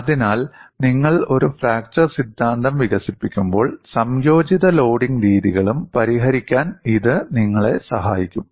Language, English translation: Malayalam, So, when you developed a fracture theory, it must help you to solve combined modes of loading also